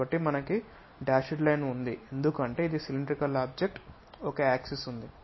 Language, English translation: Telugu, So, a dashed line we have it because, it is a cylindrical object there is an axis